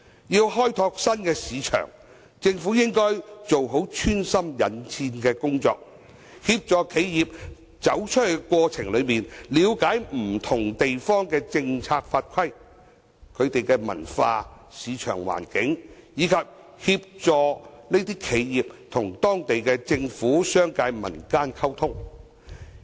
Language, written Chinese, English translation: Cantonese, 要開拓新市場，政府應該做好穿針引線的工作，協助企業在走出去的過程中，了解不同地方的政策法規、文化、市場環境，以及協助這些企業與當地政府、商界、民間溝通。, To explore new markets the Government should act as a facilitator and help enterprises understand the policies laws and regulations cultures and market situations of different places in their course of going global . It should also assist these enterprises in communicating with the local governments business sectors and people there